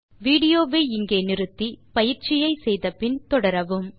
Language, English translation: Tamil, Pause the video here,do the exercise then resume the video